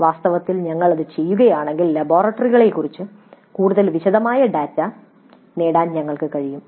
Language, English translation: Malayalam, In fact if you do that we have the advantage that we can get more detailed data regarding the laboratories